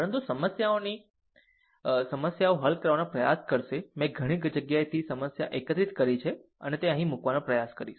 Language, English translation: Gujarati, But verities of problem will try to solve I have collected problem from several places and try to put it here